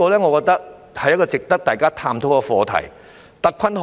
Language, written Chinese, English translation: Cantonese, 我覺得這是值得大家探討的課題。, I think this is a topic worth exploring